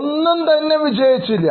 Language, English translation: Malayalam, None of them worked